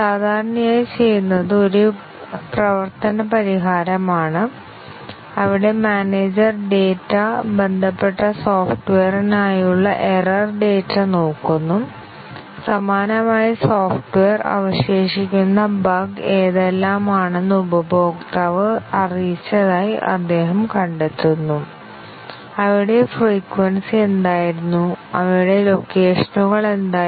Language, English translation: Malayalam, Normally, what is done is, a working solution, where the manager looks at the data, the error data for related software; similar software; he finds out, what were the types of bug that were remaining, were reported by the customer; what was their frequency and what were their locations